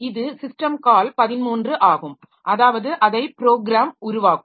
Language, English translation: Tamil, So, this is the system call 13 that is that the program is going to make